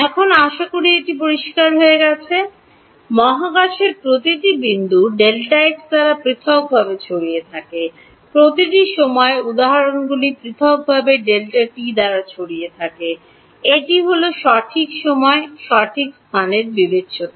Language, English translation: Bengali, Now hopefully it is clear; each of the points in space are apart spread apart by delta x, each of the time instances are spread apart by delta t, that is the discretization in space and time right